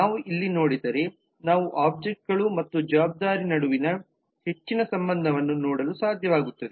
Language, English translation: Kannada, so if we look in here we will be able to see more of the association between the objects and the responsibility